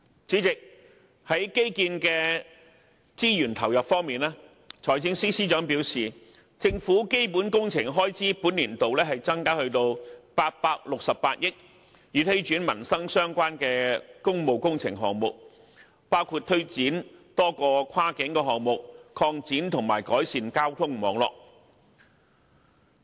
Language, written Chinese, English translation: Cantonese, 主席，在基建的資源投入方面，財政司司長表示，政府本年度的基本工程開支增加至868億元，以推展與民生相關的工務工程項目，包括推展多個跨境項目，擴展及改善交通網絡。, President in respect of infrastructure investments the Financial Secretary says that the Governments annual expenditure on capital works projects will increase significantly to 86.8 billion in this financial year in order to promote livelihood - related public works projects . These include various cross - boundary projects and the extension and improvement of the transport network